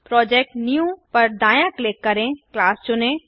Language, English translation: Hindi, Right click on the Project , New select Class